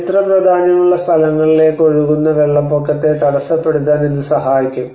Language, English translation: Malayalam, So that at least it can obstruct the flood water penetrating into the historic sites